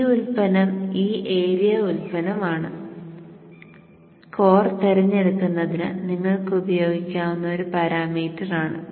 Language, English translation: Malayalam, This product is a this area product is a parameter that you can use for choosing the core